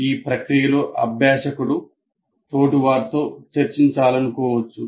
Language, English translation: Telugu, And in the process you may want to discuss with the peers